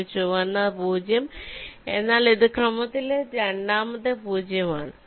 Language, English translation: Malayalam, a red zero means this is the second zero in sequence